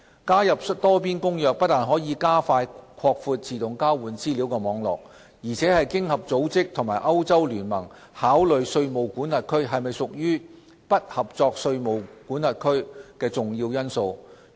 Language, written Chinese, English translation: Cantonese, 加入《多邊公約》不但可加快擴闊自動交換資料網絡，而且是經合組織和歐洲聯盟考慮稅務管轄區是否屬"不合作稅務管轄區"的重要因素。, Participation in the Multilateral Convention is not only a catalyst to expand AEOI network quickly but also a key element when OECD and the European Union consider whether a tax jurisdiction is a non - cooperative one or not